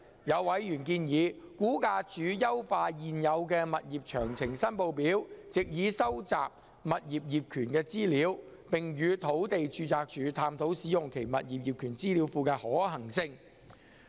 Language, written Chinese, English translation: Cantonese, 有委員建議估價署優化現有的"物業詳情申報表"，藉以收集物業業權資料，並與土地註冊處探討使用其物業業權資料庫的可行性。, Some members have advised RVD to perfect the existing Requisition for Particulars of Tenements to capture information on the ownership of properties and explore with the Land Registry the feasibility of using its database on property ownership